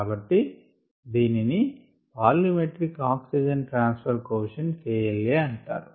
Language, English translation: Telugu, so it's called the volumetric oxygen transfer coefficient